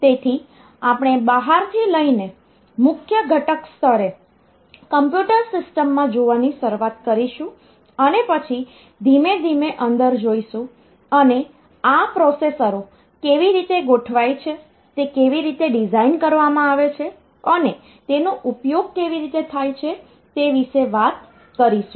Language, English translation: Gujarati, So, we will start by looking into the computer system from the outside and the at the major component level and then slowly go inside and talk about how these processors are organized, and how are they designed how are they used et cetera